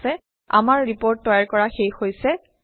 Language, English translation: Assamese, Okay, we are done with our Report